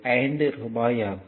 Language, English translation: Tamil, So, rupees 2